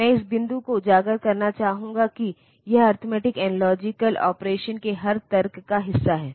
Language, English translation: Hindi, I will like to highlight this point that, it is part of every logic of arithmetic and logic operation